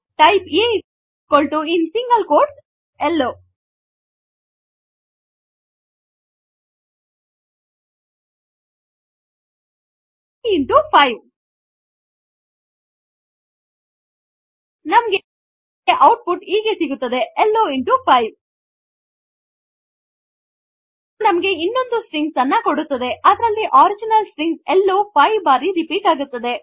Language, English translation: Kannada, Similarly we can multiply a string with an integer So lets type a = in single quotes Hello Type a into 5 So we will get output as hello into 5 It gives another string in which the original string Hello is repeated 5 times